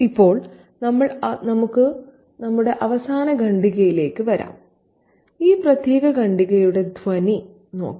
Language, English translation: Malayalam, And now let's come to the closing paragraph and look at the tone of this particular paragraph